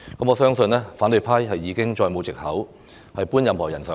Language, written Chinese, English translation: Cantonese, 我相信反對派已經再沒有藉口搬任何人上檯。, I believe the opposition camp will have no more excuse to put anyone on the spot